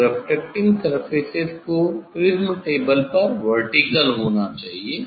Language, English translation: Hindi, these refracting surface has to be vertical on the prism table